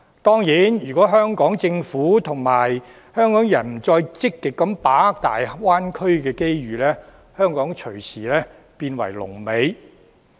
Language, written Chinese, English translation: Cantonese, 當然，如果香港政府和香港人不再積極把握大灣區的機遇，香港隨時變為龍尾。, Of course if the Hong Kong Government and Hong Kong people no longer proactively seize the opportunities presented by the Greater Bay Area Hong Kong will bring up the rear anytime